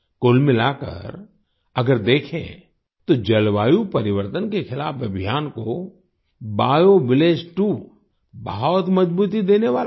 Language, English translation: Hindi, Overall, BioVillage 2 is going to lend a lot of strength to the campaign against climate change